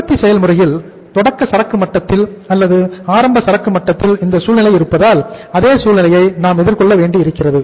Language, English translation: Tamil, And we have to face the same situation as we have the situation at the opening inventory level or maybe at the beginning stage of the manufacturing process